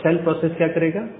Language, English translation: Hindi, Now this child process, what it does